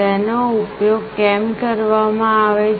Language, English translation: Gujarati, Why it is used